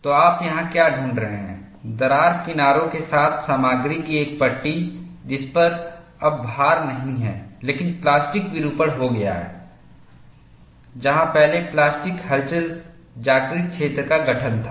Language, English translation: Hindi, So, what you find here is, a strip of material along the crack edges, though no longer loaded, but has undergone plastic deformation previously, constitutes the plastic wake